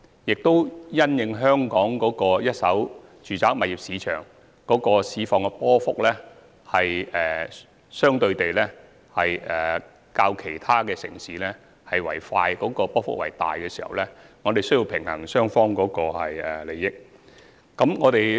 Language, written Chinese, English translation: Cantonese, 此外，因應香港一手住宅物業市場的波幅，相對較其他城市為快和大，我們需要平衡買賣雙方的利益。, In addition in consideration that the first - hand residential property market in Hong Kong is subject to more instantaneous fluctuations of greater magnitude than in other cities we have to balance the interests of both the buyers and the vendors